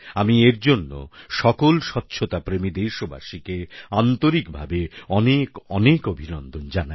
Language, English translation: Bengali, I heartily congratulate all these cleanlinessloving countrymen for their efforts